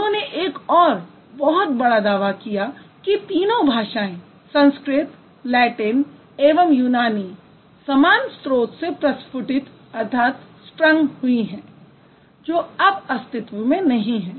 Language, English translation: Hindi, And his claim was that all the three languages, Sanskrit, Latin and Greek, they have sprung from the same common source which no longer exists